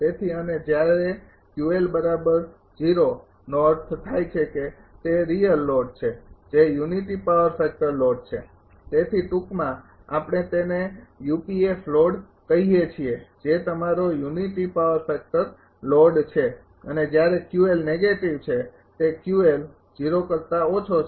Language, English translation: Gujarati, So, and when Q l equal to 0 then Q L zero means it is real load that is unity power factor load so, is in short we call it is UPF load that is your unity power factor load right and when Q L is negative that is Q L is negative less than 0